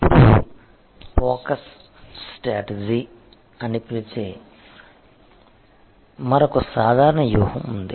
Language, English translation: Telugu, Now, there is another generic strategy which we call the focus strategy